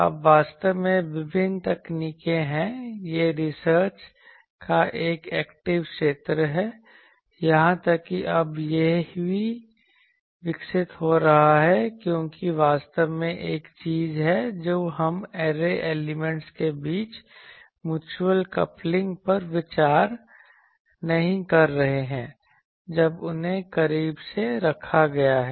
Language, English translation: Hindi, Now, there are various techniques actually, there are actually this is an active area of research even now also it is evolving because there are actually one thing we are not considering that mutual coupling between the array elements when they are placed closely